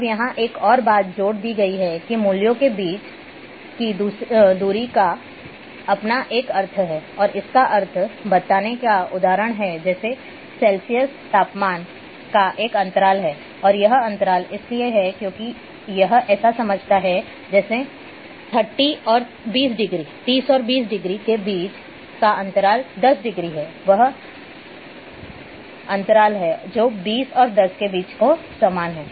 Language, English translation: Hindi, Now one more thing has been added here that the distance between values have meaning and example is like a scale of Celsius temperature is interval and interval because it makes sense to say 30 and 20 degree are the same having the same difference as the twenty and ten there is a difference of 10